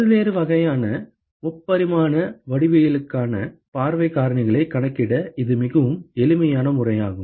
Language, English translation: Tamil, And this is a very very handy method to calculate view factors for various kinds of three dimensional geometry